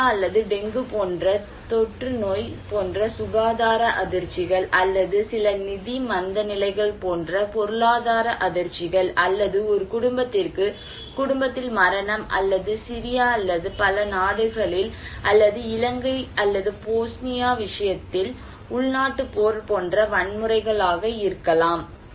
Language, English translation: Tamil, And health shocks like epidemic like cholera or even dengue let us say, or economic shocks like some financial recessions or maybe death in the family for a household or maybe violence like civil war in case of Syria or in many other countries in case of Sri Lanka when they were in civil war or in case of Bosnia